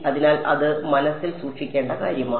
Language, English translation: Malayalam, So, that is something to keep in mind